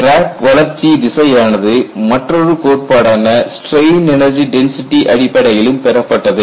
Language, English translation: Tamil, The other theory which you could get crack growth direction is from strain energy density theory